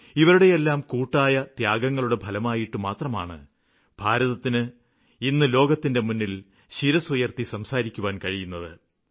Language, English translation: Malayalam, It is because of these unmatchable sacrifices that our country is proudly standing on its feet in front of the entire world